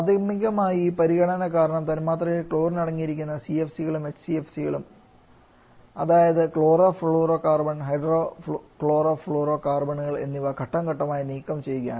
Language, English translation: Malayalam, And primary because of this consideration only the CFC and HCFC which has chlorine in their molecule that is chlorofluorocarbon and hydrochlorofluorocarbons has been or are being phased out